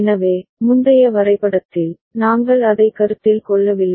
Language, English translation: Tamil, So, in the previous diagram, we did not consider it